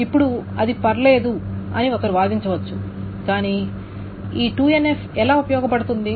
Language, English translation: Telugu, Now one may argue that that is fine, but how is this 2NF useful